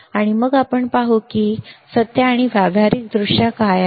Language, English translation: Marathi, And then we will see that in truth or practically what is the case